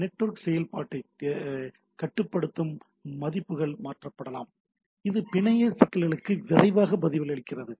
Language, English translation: Tamil, Values which regulate network operation can be altered allowing administrator to quickly respond to network problems dynamically etcetera